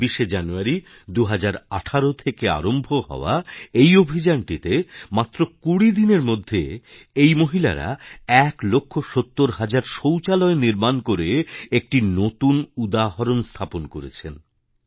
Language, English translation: Bengali, Under the auspices of this campaign starting from January 26, 2018, these women constructed 1 lakh 70 thousand toilets in just 20 days and made a record of sorts